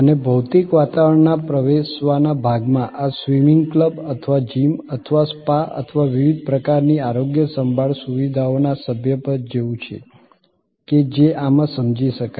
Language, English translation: Gujarati, And access to share physical environment, this is like membership of a swimming club or gym or spa or various kinds of health care facilities can be understood in this